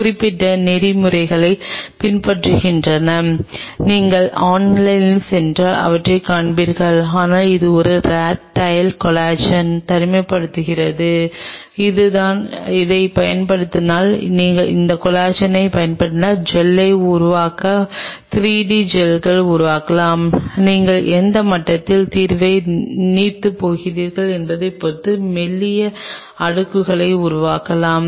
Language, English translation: Tamil, There are specific protocols which are being followed and if you go online you will find them, but this is how a rat tail collagen is being isolated and that is this could be used you can use this collagen to make Gels you can make 3 d Gels and you can make thin layers depending on at what level you are diluting the solution